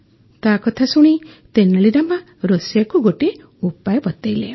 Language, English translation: Odia, On listening, Tenali Rama gave an idea to the cook